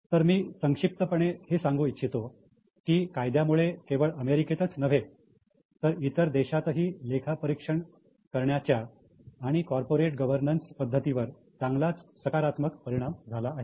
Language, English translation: Marathi, So I have tried to just in summary tell it it has significantly affected the way the audits are done, the way the corporate governance is done not only in US but also in other countries